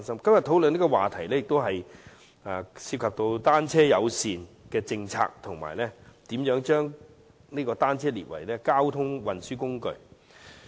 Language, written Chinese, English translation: Cantonese, 今天討論的議案涉及單車友善政策及如何將單車定為交通運輸工具。, The discussion today is about a bicycle - friendly policy and how to designate bicycles as a mode of transport